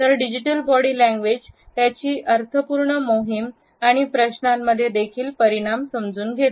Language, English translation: Marathi, So, digital body language and its understanding results in meaningful campaigns and questions also